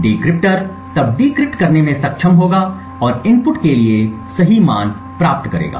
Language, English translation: Hindi, The decryptor would then be able to decrypt and get the correct values for the inputs